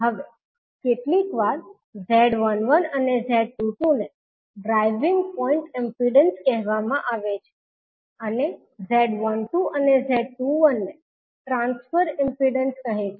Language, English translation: Gujarati, Now, sometimes the Z1 and Z2 are called driving point impedances and Z12 and Z21 are called transfer impedance